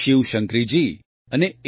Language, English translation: Gujarati, Shiv Shankari Ji and A